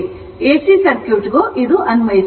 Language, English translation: Kannada, Same will be applicable to your AC circuit also